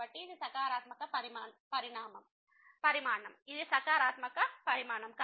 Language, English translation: Telugu, So, this is a positive quantity, this is a positive quantity